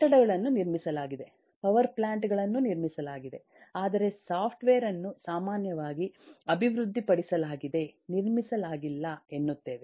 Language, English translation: Kannada, buildings are constructing, power plants are constructing, but software is typically developed, not constructed